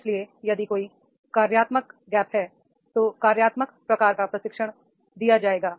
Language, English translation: Hindi, So if there is a functional gap then the functional type of training will be given